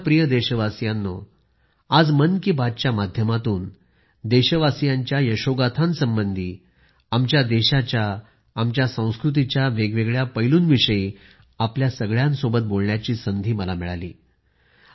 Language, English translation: Marathi, In today's Mann Ki Baat, I have had the opportunity to bring forth extraordinary stories of my countrymen, the country and the facets of our traditions